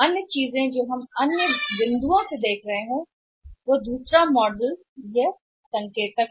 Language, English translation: Hindi, Another thing we are seeing from the another point of view in in another model is another indicator